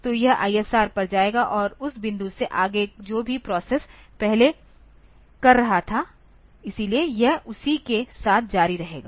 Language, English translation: Hindi, So, it will go to the ISR and from that points onwards whatever the processes was doing previously; so, it will continue with that